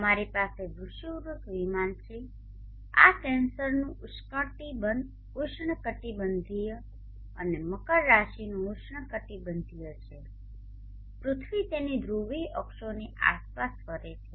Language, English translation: Gujarati, Now the earth a bit enlarged is like this you have the equatorial plane this is the tropic of cancer and the tropic of Capricorn the earth will rotate about its polar axes